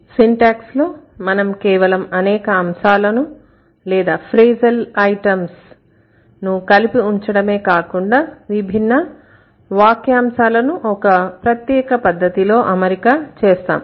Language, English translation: Telugu, So, in syntax you are not only putting the elements together or putting different frazil items together, you are also arranging it in a certain manner